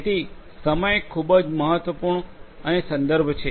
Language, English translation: Gujarati, So, timing is very important and the context